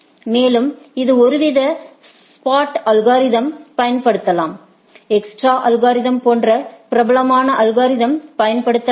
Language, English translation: Tamil, And, then it can use some sort of spot algorithm, the popular algorithm like extra algorithm can be used